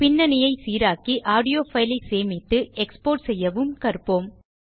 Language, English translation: Tamil, Filter background noise.Save and export the audio file